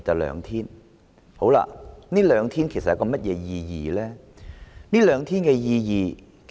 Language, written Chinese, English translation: Cantonese, 5天與7天侍產假只相差兩天，實質意義何在？, The proposal of five days or seven days paternity leave only differs by two days . What is the actual implication?